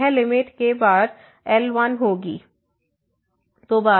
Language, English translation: Hindi, So, this limit will be times